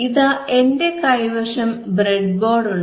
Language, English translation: Malayalam, So, if you now can see the breadboard